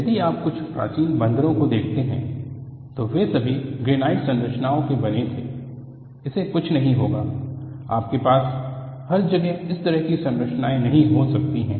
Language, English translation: Hindi, See, if you look at some of the ancient temples, they wereall made of granite structures; nothing will happen to it; you cannot have that kind of structure everywhere